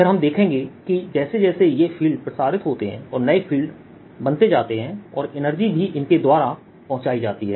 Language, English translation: Hindi, then we'll see that these fields as they propagate and new fields are created, energy also gets transported by it